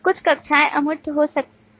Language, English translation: Hindi, Some classes could be abstract If a class is abstract